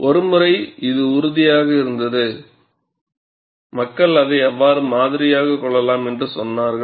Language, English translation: Tamil, Once it was convinced, people said how it could be modeled